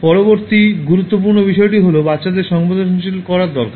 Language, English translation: Bengali, The next important thing is you need to sensitize your children